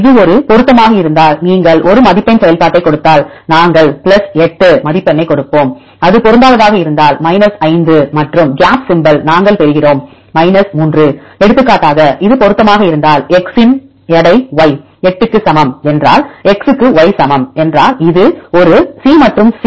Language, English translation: Tamil, If you give a scoring function if it is a match then we give a score of +8 and if it is a mismatch we give 5 and gap symbol we will give 3; for example, if it is the match means weight of x, y equal to 8 if x equal to y right if this is a C and then the C